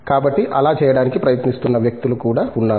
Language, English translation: Telugu, So, there are people who are trying to do that